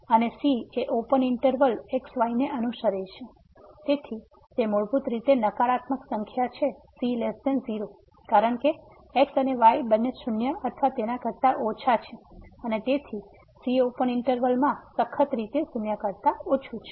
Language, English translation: Gujarati, And, note that the belongs to this open interval, so, it is basically a negative number the is less than because and both are less than equal to and therefore, the will be strictly less than in the open interval